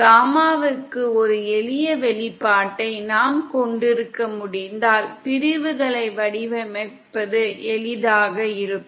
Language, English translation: Tamil, If we could have a simple expression for gamma in then it would be easier to design sections